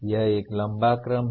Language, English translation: Hindi, It is a tall order